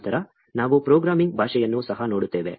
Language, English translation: Kannada, Then, we will also look at programming language